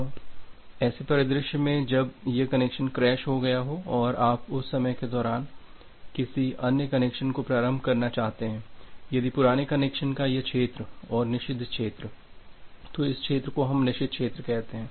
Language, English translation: Hindi, Now, in a scenario when this connection is being crashed and you want to initialize another connection during that time, if this region of the old connection and the forbidden region, so this region we call as the forbidden region